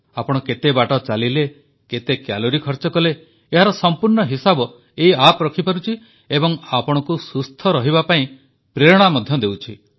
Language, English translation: Odia, This is a fitness app and it keeps a track of how much you walked, how many calories you burnt; it keeps track of the data and also motivates you to stay fit